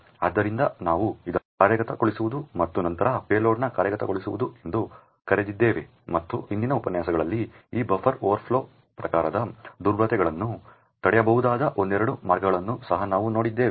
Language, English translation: Kannada, So, we called this as the subverting of the execution and then the execution of the payload and then in the previous lectures we had also seen a couple of ways where this buffer overflow type vulnerabilities could be prevented